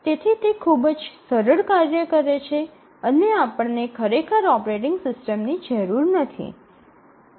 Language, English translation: Gujarati, So, that is a very simple task and we do not really need an operating system